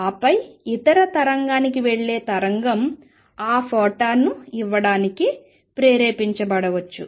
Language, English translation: Telugu, And then the wave going the other wave may stimulated to give out that photon